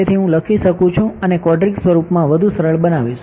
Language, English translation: Gujarati, So, I can write, further simplify this in the quadratic form